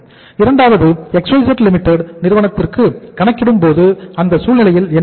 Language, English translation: Tamil, Second company is XYZ Limited and these are the particulars